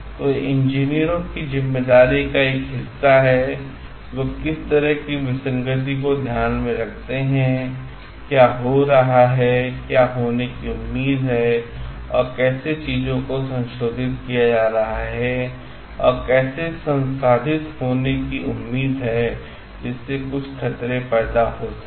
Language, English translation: Hindi, So, it is a part of responsibility of the engineers to bring to focus any sort of like discrepancy in the how what is happening, and what is expected to happen, how things are like being processed, and how it is expected to be processed, which may lead to some hazards